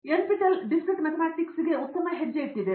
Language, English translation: Kannada, NPTEL has made a great step towards Discrete Mathematics